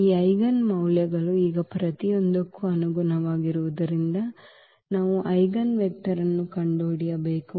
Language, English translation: Kannada, So, having these eigenvalues now corresponding to each, we have to find the eigenvector